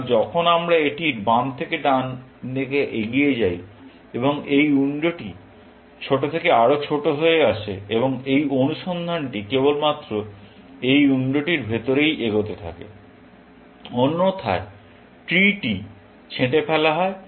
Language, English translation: Bengali, So, as we sweep this from left to right, this window gets smaller and smaller, and search progresses only inside this window; otherwise, the tree is pruned off